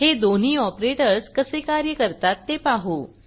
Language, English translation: Marathi, Lets see how these two operators work